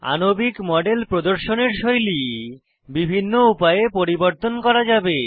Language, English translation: Bengali, The style of display of molecular model can be modified in various ways